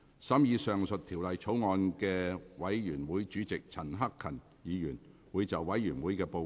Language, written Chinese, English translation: Cantonese, 審議上述條例草案的委員會主席陳克勤議員會就委員會的報告，向本會發言。, Mr CHAN Hak - kan Chairman of the Bills Committee on the Bill will address the Council on the Committees Report